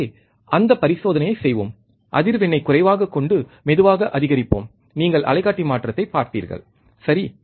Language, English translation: Tamil, So, let us do that experiment, let us bring the frequency low and let us increases slowly, and you will see on the oscilloscope the change, alright